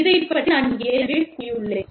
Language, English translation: Tamil, I have already talked about this